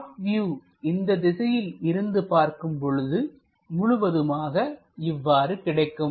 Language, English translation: Tamil, For the top view; if we are looking from that direction this entirely looks like that